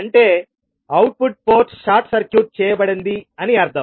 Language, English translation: Telugu, That is input ports short circuited